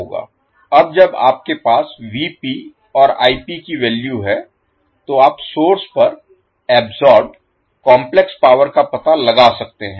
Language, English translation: Hindi, Now when you have Vp and Ip calculated, you can find out the complex power absorbed at the source